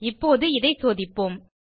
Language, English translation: Tamil, Now we will check it out